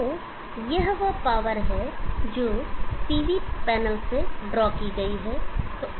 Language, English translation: Hindi, So this is the power that is drawn from the PV panel